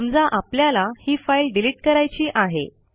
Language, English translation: Marathi, Say we want to delete it